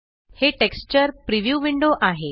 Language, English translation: Marathi, This is the texture preview window